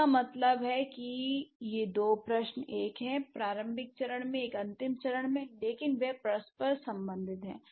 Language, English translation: Hindi, So, that means these two questions, they are, one is at the initial stage, one is at the final stage, but they are interrelated